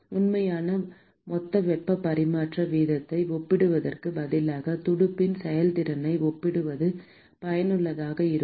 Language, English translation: Tamil, instead of comparing what is the actual total heat transfer rate, it is useful to compare the efficiency of the fin that has been designed